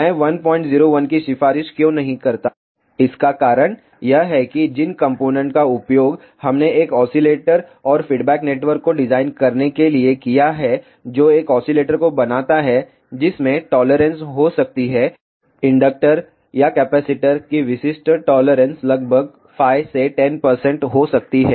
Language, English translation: Hindi, 01, because the components which we have used to design an oscillator and feedback network, which gives rise to an oscillator may have tolerances; typical tolerance of inductor or capacitor can be about 5 to 10 percent